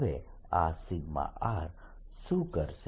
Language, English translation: Gujarati, what would this p one do